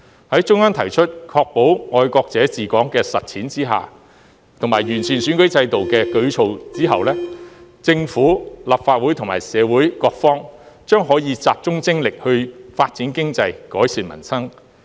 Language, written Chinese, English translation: Cantonese, 在中央提出在確保"愛國者治港"的實踐下，以及作出完善選舉制度的舉措後，政府、立法會和社會各方將可集中精力發展經濟、改善民生。, With the assured practice of patriots administering Hong Kong put forth by the Central Government and the electoral system improved the Government the legislature and different sectors of society will then be able to focus their attention and efforts on improving peoples livelihood